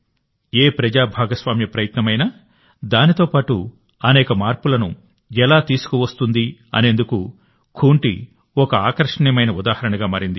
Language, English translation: Telugu, Khunti has become a fascinating example of how any public participation effort brings with it many changes